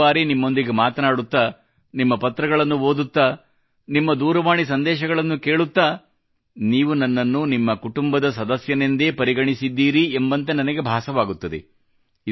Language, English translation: Kannada, Many times while conversing with you, reading your letters or listening to your thoughts sent on the phone, I feel that you have adopted me as part of your family